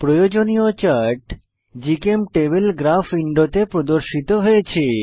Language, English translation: Bengali, The required chart is displayed on GChemTable Graph window